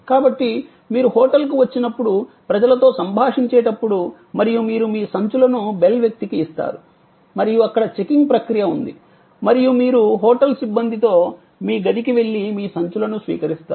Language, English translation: Telugu, So, when you are interacting with the people when you arrive at the hotel or you give your bags to the bell person or there is a checking in process or you go to your room with the hotel personnel and you receive your bags